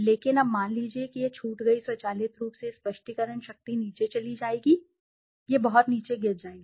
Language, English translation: Hindi, But now suppose your missed it automatically the explanation power will go down, it will drastically fall down